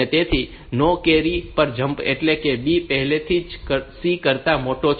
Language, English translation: Gujarati, So, jump on no carry that is B is already larger than C